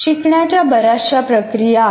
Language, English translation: Marathi, So there are a whole lot of learning activities